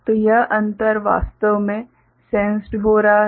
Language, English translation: Hindi, So, that difference is actually getting sensed